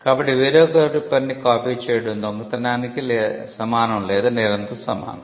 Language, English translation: Telugu, So, copying somebody else’s work was equated to stealing or equated to the crime or theft